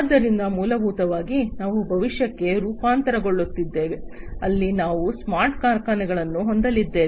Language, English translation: Kannada, So, essentially we are transforming into the future, where we are going to have smart factories